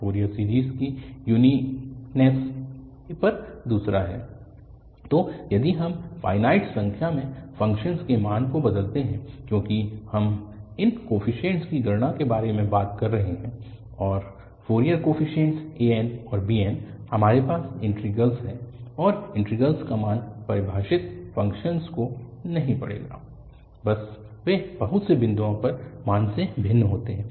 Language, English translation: Hindi, Second on the uniqueness of the Fourier series, so if we alter the value of the function at finite number of points, because we are talking about computing these coefficients say, and Fourier coefficients an and bn’s, we have the integrals and the integrals value will not read the function defined at just they differ by value at finitely many points